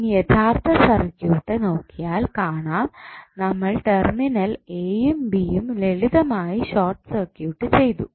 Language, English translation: Malayalam, Now, if you see the original circuit we have just simply short circuited the terminal a, b